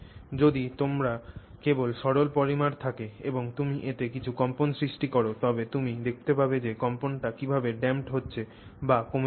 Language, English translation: Bengali, So, if you just have the plane polymer and you put some vibration into it, you can see how the vibration dam is getting damped